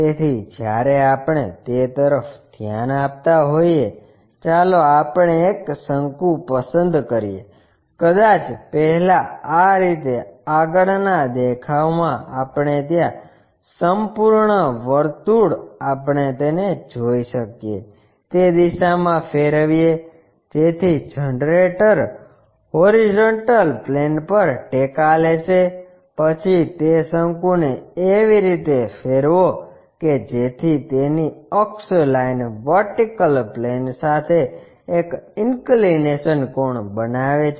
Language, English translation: Gujarati, So, when we are looking at that let us pick a cone, maybe first fix in such a way that the entire circle in the front view we can see that, that turn it in that direction, so the generator will be resting on horizontal plane, then rotate that cone in such a way that that axis line makes an inclination angle with the vertical plane